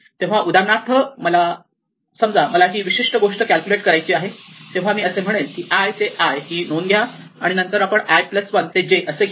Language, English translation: Marathi, I can say pick, so for example, supposing I want to compute this particular thing then I have to say pick this entry i to i and then I want the entry i plus 1 to j